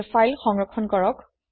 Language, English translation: Assamese, Now save this file